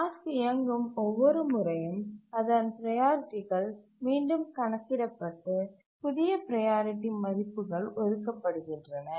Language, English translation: Tamil, Every time the task is run, its priorities recalculated and new priority values are assigned